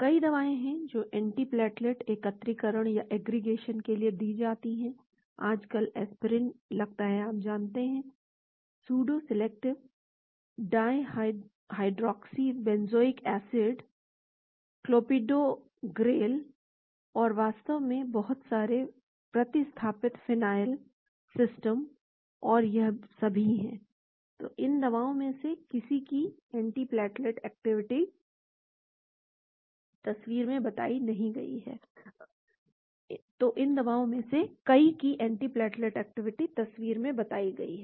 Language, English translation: Hindi, There are many drugs which are given for antiplatelet aggregation, now a days aspirin is seemed to be you know; pseudo salicylate, dihydroxybenzoic acid, Clopidogrel, and so on actually a lot of substituted phenyl systems and all are there, so antiplatelet activity of many of these drugs have been reported in the picture